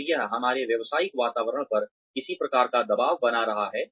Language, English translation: Hindi, And, that is creating, some sort of pressure on our professional environments